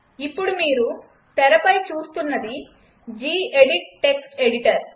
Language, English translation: Telugu, So what you see right now on screen is the gedit Text Editor